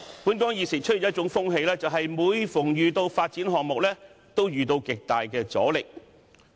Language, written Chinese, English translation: Cantonese, 本港現時出現一種風氣，就是每逢有發展項目，均會遇到極大阻力。, There is a prevailing trend in Hong Kong that each development project is met with great resistance